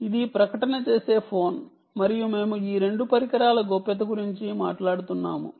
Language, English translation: Telugu, this is the phone that is advertising and we are talking about privacy of these two devices